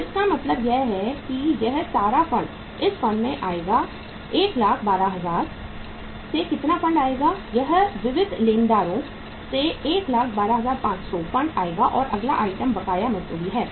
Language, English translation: Hindi, So it means this much of the funds will come from this much of the funds will come from how much funds will come from 112,000 will come from 112,500 this will come from the sundry creditors and the next item is the uh say outstanding wages